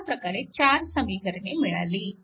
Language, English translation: Marathi, So, you have 4 equations and 4 unknown